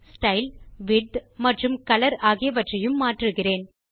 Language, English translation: Tamil, I will also change the Style, Width and Color